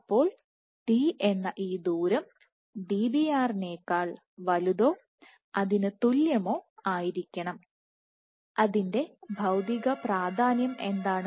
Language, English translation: Malayalam, So, this distance d’ has to be greater or equal to Dbr, and what is the physical significance of that